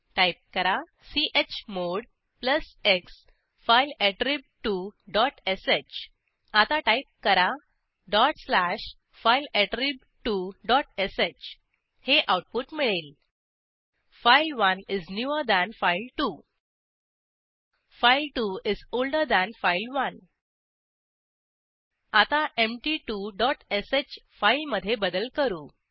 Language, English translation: Marathi, Type chmod plus x fileattrib2 dot sh Now type dot slash fileattrib2 dot sh We see the output as: file1 is newer than file2 file2 is older than file1 Now lets edit empty2 dot sh file